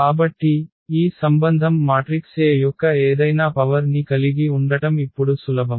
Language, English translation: Telugu, So, it is easy now to find having this relation any power of the matrix A